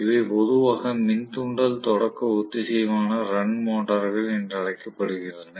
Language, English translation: Tamil, So, these are generally known as induction start synchronous run motors